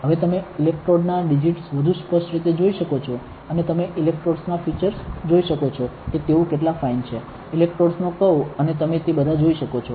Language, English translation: Gujarati, Now, you can see the digits of the electrode much more clearly and you can see the features of the electrodes how fine are they, the curvature of the electrodes and all you can see